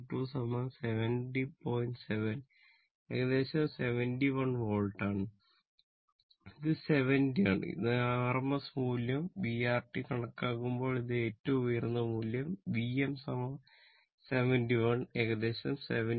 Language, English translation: Malayalam, 7 your approximately it is 71 volt it is 70 this is rms value your if you when you are calculating v or t this is the peak value v m is equal to your 71 approximately it is 70